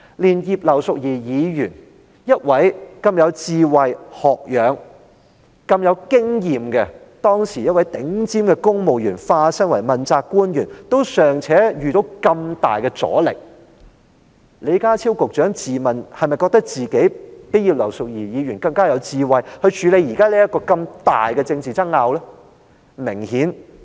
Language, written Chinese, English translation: Cantonese, 連葉劉淑儀議員當時這位很有智慧、學養和經驗的頂尖公務員，在化身成為問責官員後，也尚且遇上那麼大的阻力，李家超局長是否自問較葉劉淑儀議員更加有智慧，可以處理現時這個如此巨大的政治爭拗呢？, While even Mrs Regina IP a leading civil servant at that time who was very intelligent learned and experienced encountered so much resistance after becoming a principal official does Secretary John LEE see himself to be more intelligent than Mrs Regina IP and able to tackle this huge political dispute now?